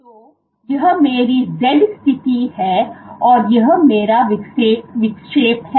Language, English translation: Hindi, So, this is my z position and this is my deflection